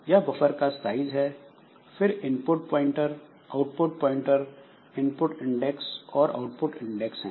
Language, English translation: Hindi, So, this buffer is of size, buffer size, then there is input pointer and output pointer, input index and output index